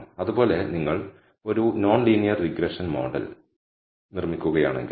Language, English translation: Malayalam, Similarly, if you are building a non linear regression model